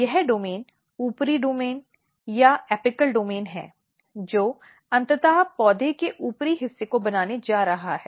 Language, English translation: Hindi, This domain is eventually the upper domain or apical domain which is eventually going to make the upper part of the plant